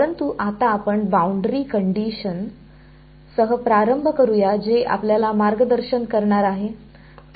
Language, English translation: Marathi, But now let us start with the boundary condition that is what is going to guide us